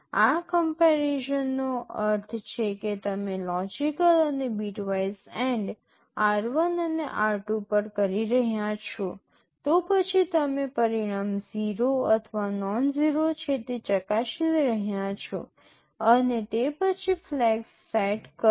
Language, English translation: Gujarati, This comparison means you are doing logical and bitwise AND of r1 and r2; then you are checking the result is 0 or nonzero and then accordingly set the flags